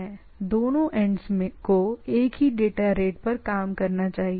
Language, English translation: Hindi, Both the ends must operate at the same data rate